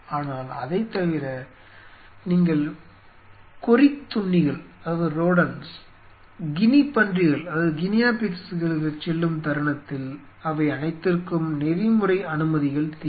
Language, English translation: Tamil, But apart from it the very moment you move to the rodent’s guinea pigs they all need ethical clearances